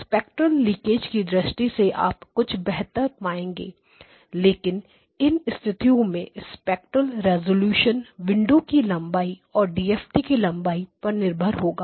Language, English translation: Hindi, You get slightly better in terms of spectral leakage but in all these cases your underlying spectral resolution depends on the length of the window or the length of the DFT as well